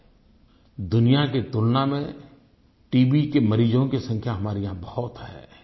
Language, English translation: Hindi, Compared to the world, we still have a large number of TB patients